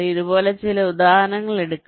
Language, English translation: Malayalam, lets take some examples like this